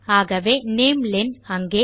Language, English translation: Tamil, So namelen there...